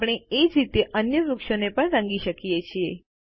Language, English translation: Gujarati, We can color the other trees in the same way